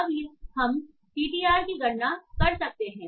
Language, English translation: Hindi, So let us compute the TDR